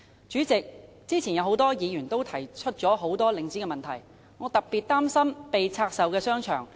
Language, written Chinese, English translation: Cantonese, 主席，剛才多位議員均指出領展的很多問題，我特別擔心被拆售的商場。, President a number of Members have pointed out many problems of Link REIT . I am particularly concerned about the divestment of shopping arcades